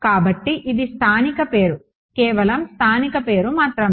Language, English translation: Telugu, So, this is a local name only a local name